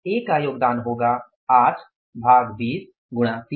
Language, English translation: Hindi, A's contribution is going to be 8 by 20 into is going to be 30